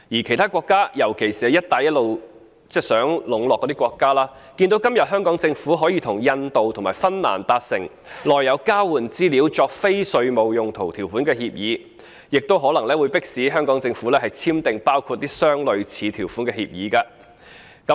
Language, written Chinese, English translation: Cantonese, 其他國家，尤其是在"一帶一路"下中國想籠絡的國家，看到今天香港政府可以與印度及芬蘭達成內有交換資料作非稅務用途條款的協定，亦可能會迫使香港政府簽訂包括類似條款的協定。, Having seen the agreements made by the Government of Hong Kong with India and Finland today which provide for the use of the exchanged information for non - tax related purposes other countries particularly those China is keen to woo under the Belt and Road Initiative may compel the Government of Hong Kong to enter into agreements with similar provisions